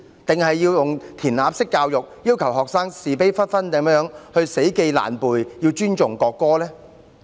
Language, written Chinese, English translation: Cantonese, 還是要用"填鴨式"教育，要求學生是非不分地死記爛背，尊重國歌呢？, Or does it want to spoon - feed the students and require them to thoughtlessly engage in rote learning and respect the national anthem?